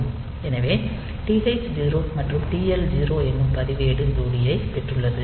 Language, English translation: Tamil, So, it has got TH 0 and TL 0 register pair